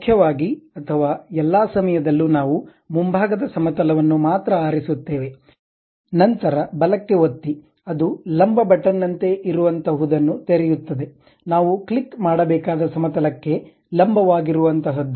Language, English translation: Kannada, Mainly or all the time we pick only front plane, then give a right click, it open something like a normal button, normal to that plane we have to click